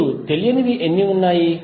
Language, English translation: Telugu, Now, unknowns are how many